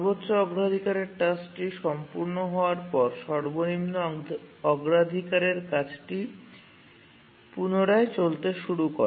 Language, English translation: Bengali, And also when the highest priority task completes, again the lowest priority task resumes its execution